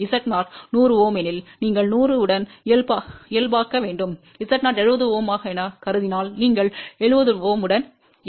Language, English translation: Tamil, So, please read what is there suppose if Z 0 is 100 Ohm, then you have to normalize with 100; if Z 0 is suppose 70 Ohm, then you normalize with 70 Ohm